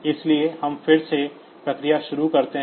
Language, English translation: Hindi, So, we start the process again